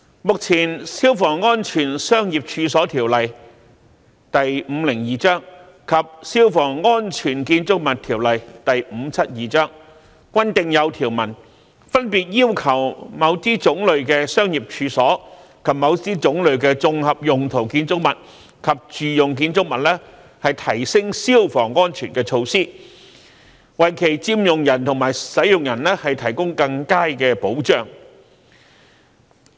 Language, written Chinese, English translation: Cantonese, 目前，《消防安全條例》及《消防安全條例》均訂有條文，分別要求某些種類的商業處所，以及某些種類的綜合用途建築物及住用建築物提升消防安全的措施，為其佔用人和使用人提供更佳的保障。, At present the enhancement of fire safety measures for better protection for occupants and users of certain kinds of commercial premises and certain kinds of composite buildings and domestic buildings is provided in the Fire Safety Ordinance Cap . 502 and the Fire Safety Buildings Ordinance Cap . 572 respectively